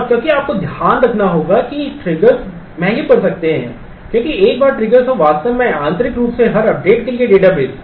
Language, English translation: Hindi, And because you have to keep in mind that triggers are expensive because once you have triggers and actually internally database for every update